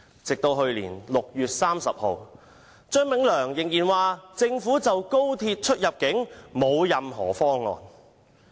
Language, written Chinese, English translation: Cantonese, 直至去年6月30日，張炳良仍然說政府就高鐵出入境的安排沒有任何方案。, As late as 30 June last year Anthony CHEUNG still maintained that the Government had no proposal for the immigration control arrangements of XRL